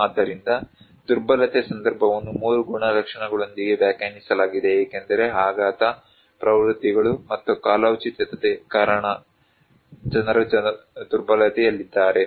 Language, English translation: Kannada, So, vulnerability context is defined with 3 characteristics that people are at vulnerable because shock, trends, and seasonality